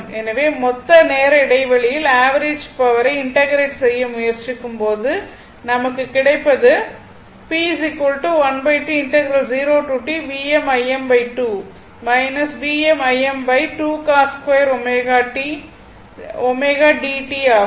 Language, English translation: Tamil, So, when you try to your integrate over the total time interval the average power right